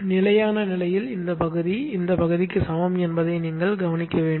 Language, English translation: Tamil, In the steady state you should note that this area is equal to this area